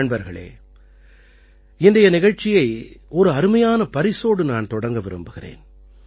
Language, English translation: Tamil, Friends, I want to start today's program referring to a unique gift